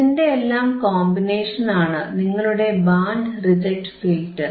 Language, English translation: Malayalam, The combination of all this is your band reject band